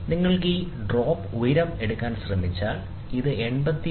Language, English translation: Malayalam, And if you try to take this drop this height, this will be 86